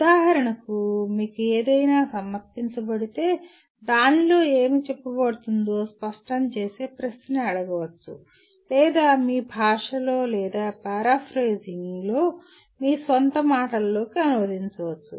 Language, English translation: Telugu, For example something is presented to you, you can be asked a question clarify what is being stated in that or translate into in your language or paraphrase in your own words